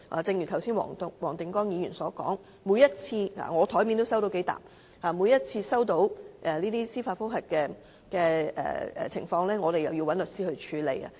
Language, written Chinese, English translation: Cantonese, 正如剛才黃定光議員所說，每次收到這些司法覆核的信件——我檯面也收到數疊——我們便要找律師處理。, As Mr WONG Ting - kwong has said just now every time when we receive these letters of judicial reviews―I have a few piles on the table―we have to hire solicitors to handle them